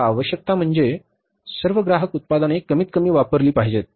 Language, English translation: Marathi, Now, necessities is that say for example all the consumer products, people have to consume minimum